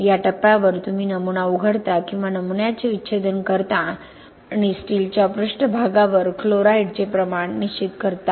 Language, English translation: Marathi, At this point you take you open the specimen or autopsy the specimen and determining the amount of chloride at the steel surface